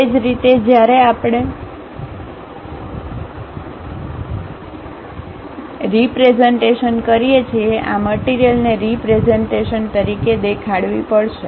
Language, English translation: Gujarati, Similarly, when we are representing; this material has to be shown as a representation